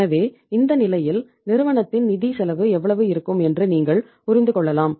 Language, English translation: Tamil, So in that case you can understand how much is going to be the financial cost of the firm